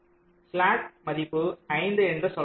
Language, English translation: Tamil, let say slack value was, let say five